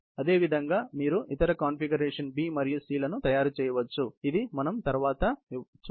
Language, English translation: Telugu, Similarly, you can make other configuration, B and C, which we will probably, discus a little bit later